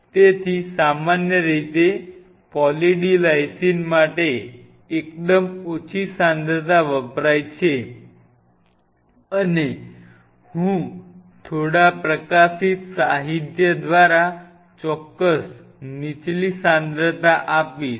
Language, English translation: Gujarati, So, the concentration is generally used for Poly D Lysine is fairly low concentration and the exact concentration I will provide through few publish literature it has to be on a lower side